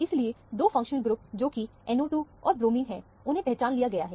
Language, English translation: Hindi, Therefore, the 2 functional groups, which are the NO 2 and the bromine are identified